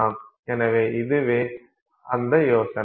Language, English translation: Tamil, So, this is the idea